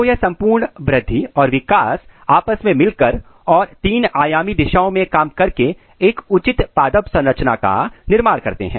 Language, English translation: Hindi, So, all this growth and development together they occurs in all the three dimensional direction and this gives a proper plant architecture